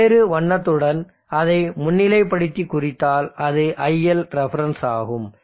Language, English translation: Tamil, So let me highlight that with a different colour and let me indicate that, so that is ilref